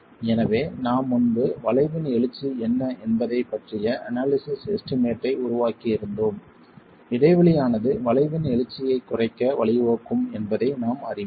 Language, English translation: Tamil, So, we were earlier making an estimate of an analytical estimate of what the rise of the arch was, we know that the gaping is going to lead to a reduction in the rise of the arch